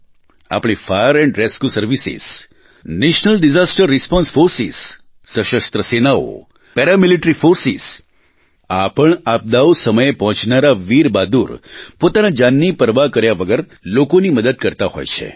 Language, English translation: Gujarati, Our Fire & Rescue services, National Disaster Response Forces Armed Forces, Paramilitary Forces… these brave hearts go beyond the call of duty to help people in distress, often risking their own lives